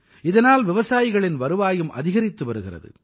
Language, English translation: Tamil, This is also increasingthe income of farmers